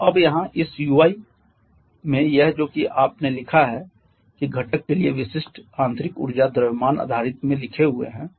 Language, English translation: Hindi, So now here this ui that is that you have written that is a specific internally for the component is written in mass basis